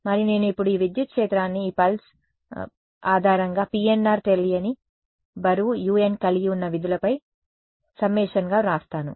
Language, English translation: Telugu, And, I write this electric field now as a summation over all of these pulse basis functions PNR each of them having an unknown weight u n right